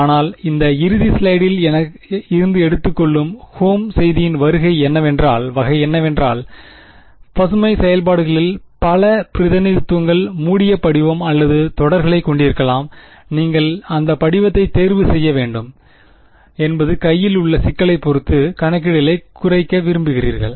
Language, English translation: Tamil, But, sort of the take home message from this final slide over here is, that Green’s functions can have multiple representations closed form or series you should choose that form depending on the problem at hand basic idea is you want to reduce the calculations